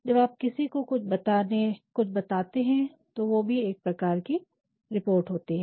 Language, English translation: Hindi, When you are saying something to somebody that is also form of report